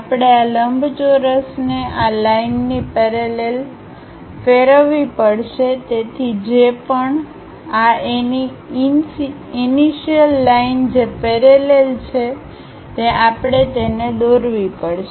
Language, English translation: Gujarati, We have to turn this rectangle parallel to these lines so whatever, this initial line we have parallel to that we have to draw it